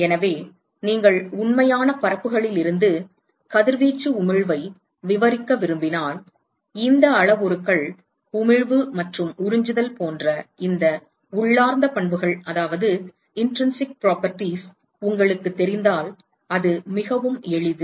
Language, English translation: Tamil, So, if you want to describe the radiation emission from real surfaces it comes very handy if you know these parameters, these intrinsic properties such as emissivity and absorptivity